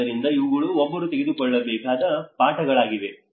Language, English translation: Kannada, So these are the lessons one has to take it